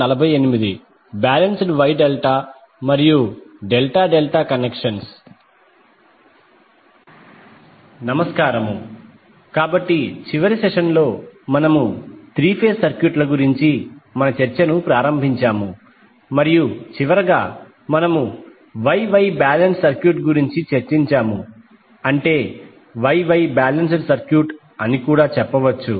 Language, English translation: Telugu, Namaskar, so in last session we started our discussion about the 3 phase circuits and last we discussed about the star star balance circuit that means you can also say Wye Wye balance circuit